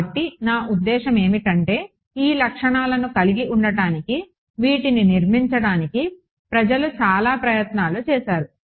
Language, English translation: Telugu, So, this is I mean people went through a lot of effort to make these to construct these so as to have these properties